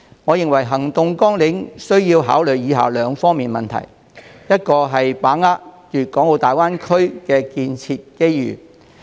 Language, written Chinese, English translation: Cantonese, 我認為行動網領需考慮兩方面的問題：第一，要把握粵港澳大灣區建設的機遇。, Concerning the action plans I think we have to consider two aspects First we must grasp the opportunity of the development of the Guangdong - Hong Kong - Macao Greater Bay Area GBA